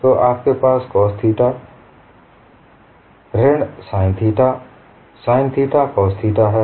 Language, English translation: Hindi, So you have this as, cos theta minus sin theta sin theta cos theta